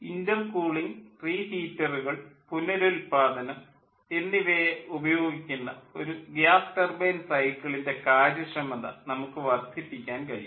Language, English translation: Malayalam, so for a gas turbine cycle, utilizing intercooling, reheat and regeneration, we can increase its efficiency